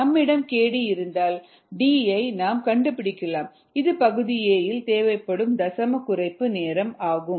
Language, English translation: Tamil, if we have k d, we can find out d, which is the decimal reduction time, which is what is you required in part a